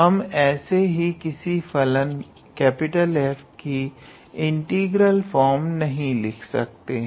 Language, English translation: Hindi, We cannot just simply write every function capital F as this integral form